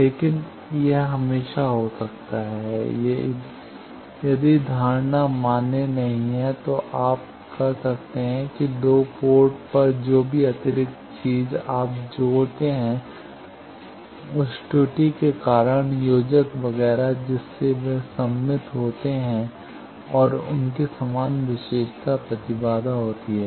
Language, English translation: Hindi, But it can be always, if the assumption are not valid you can that at the two ports whatever extra thing you connect that error causing connectors etcetera they are symmetric and their having same characteristic impedance